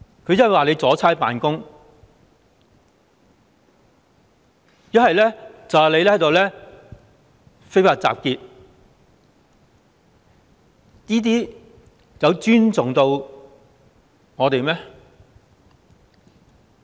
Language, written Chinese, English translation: Cantonese, 警方不是說阻差辦公，便是說非法集結，有尊重過我們嗎？, The Police accused us of participating in an unlawful assembly if not obstructing police officers in the execution of duties . Have they respected us?